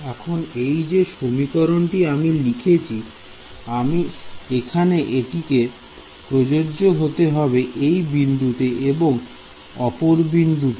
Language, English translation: Bengali, Now, this equation that I have written over here, it should be valid at this point also and at this point also right